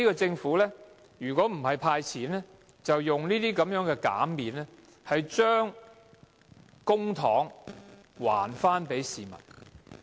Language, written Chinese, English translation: Cantonese, 政府今年如果不是派錢，便是透過這些減免，將公帑還給市民。, As the Government is not handing out money this year it is returning public money to the public through these reductions and waivers